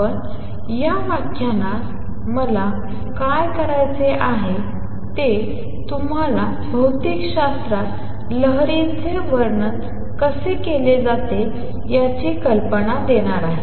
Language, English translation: Marathi, But what I want to do in this lecture is give you an idea as to how waves are described in physics